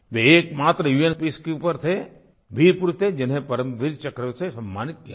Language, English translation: Hindi, He was the only UN peacekeeper, a braveheart, who was awarded the Param Veer Chakra